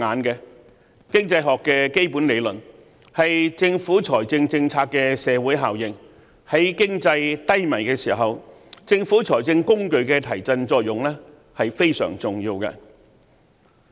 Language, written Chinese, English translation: Cantonese, 經濟學的基本理論強調政府財政政策的社會效應，在經濟低迷的時候，政府財政工具的提振作用是非常重要的。, Basic Economics theories emphasize on the effects of fiscal policies in society as fiscal tools are crucial to boosting an ailing economy